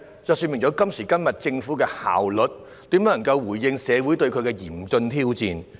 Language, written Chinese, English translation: Cantonese, 這說明，今時今日政府的效率怎能回應社會面對的嚴峻挑戰？, It means that how can the Government respond to the serious challenges faced by society with such efficiency nowadays?